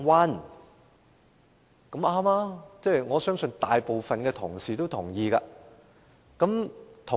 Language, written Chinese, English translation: Cantonese, 這種說法沒錯，我相信大部分同事都會同意。, The arguments are valid and I believe most Honourable colleagues will agree